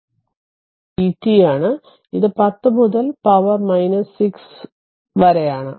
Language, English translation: Malayalam, So, it is v t into it is 10 to power minus 6